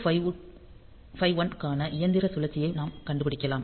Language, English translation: Tamil, So, we can find out the machine cycle for 8051